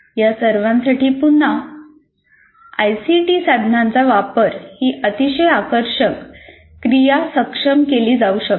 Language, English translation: Marathi, And for all this, once again, ICT tools can be used to make this very, very engaging activity efficient